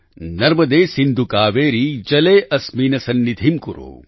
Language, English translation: Gujarati, Narmade Sindhu Kaveri Jale asmin sannidhim kuru